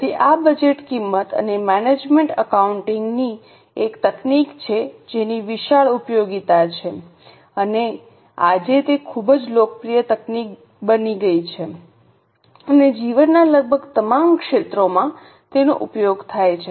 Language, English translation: Gujarati, So this budget is one of the techniques of cost and management accounting which has a vast applicability and today it has become very popular technique and used in almost all walks of life